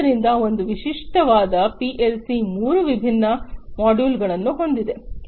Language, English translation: Kannada, So, a typical PLC has three different modules